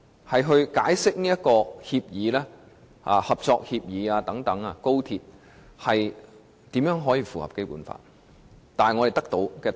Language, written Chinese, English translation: Cantonese, 如何解釋這份高鐵合作協議，才能符合《基本法》的規定？, How should the XRL Operating Co - operation Agreement be interpreted to enable it to meet the requirements of the Basic Law?